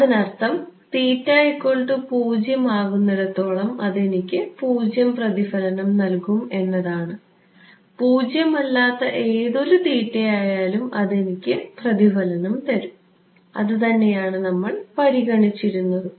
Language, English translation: Malayalam, This is going to be I mean it will give me 0 reflection as long as theta is equal to 0, any nonzero theta I am going to get a reflection, that is what we have considered ok